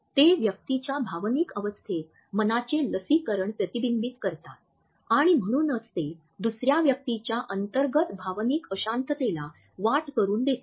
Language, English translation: Marathi, They reflect the vaccinations of the mind in a persons emotional state and therefore, they offer as a window to their internal emotional turbulence of another person